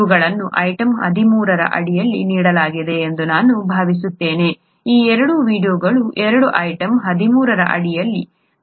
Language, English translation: Kannada, I think these are given in, under item 13, these two videos both are under item 13